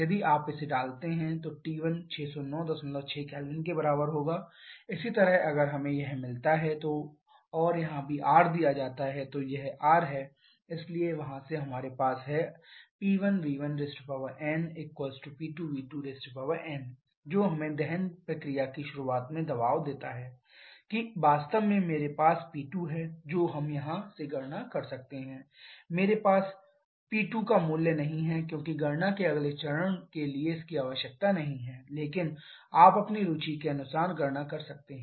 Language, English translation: Hindi, Similarly if we get this and also the R is given here, this is the R so from there we have P 1 V 1 to the power n to be equal to P 2 V 2 to the power n which gives us the pressure at the beginning of combustion process to be equal to in fact I have P 2 we can calculate from here V 1 by V 2 to the power n I do not have the value of P 2 because that is not required for the next step of calculation but you can calculate as for your interest